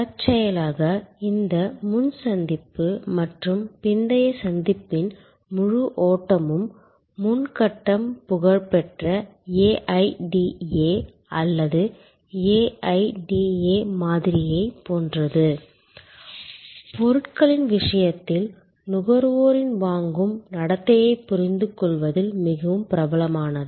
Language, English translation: Tamil, Incidentally, this whole flow of pre encounter and post encounter of that, the pre stage is similar to the famous AIDA or AIDA model, quite popular in understanding consumer's buying behavior in case of products